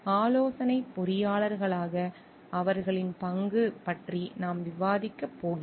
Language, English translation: Tamil, We are going to discuss the role their role as consulting engineers